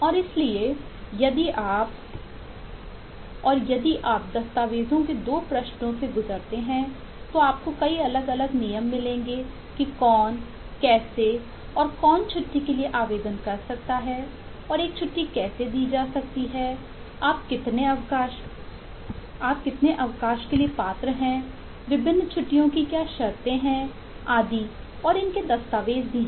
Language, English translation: Hindi, if you, if you go through the 2 pages of the document, you will find several different rules of eh: who can, how can who and one apply for a leave and how can a leave granted, how much leave you are eligible for, what are the conditions for different leaves, and so on are documented